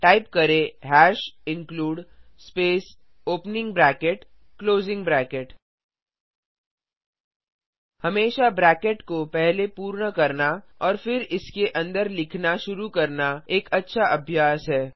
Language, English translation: Hindi, Now press Enter Type hash #include space opening bracket , closing bracket It is always a good practice to complete the brackets first, and then start writing inside it Now Inside the bracket, typestdio